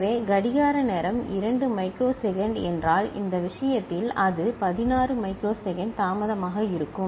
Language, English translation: Tamil, So, if the clock time period is 2 microsecond, in this case it will be 16 microsecond delay